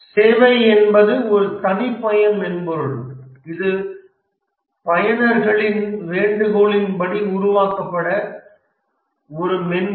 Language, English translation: Tamil, Whereas a service is a custom software, it's a software developed at users request